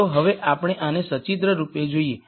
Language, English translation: Gujarati, Now let us look at this pictorially